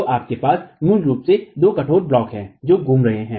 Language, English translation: Hindi, So, you basically have two rigid blocks that are rotating